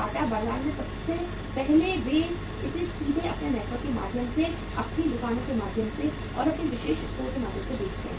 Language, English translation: Hindi, Bata sells in the market first they sell it directly through their own network, through their own shops and through their exclusive stores